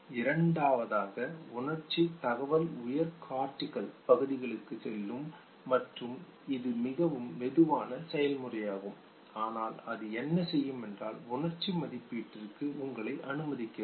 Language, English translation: Tamil, The second where the sensory information goes to the higher cortical areas and this is a very slow process but what it does is, that it allows you to go for appraisal of the emotion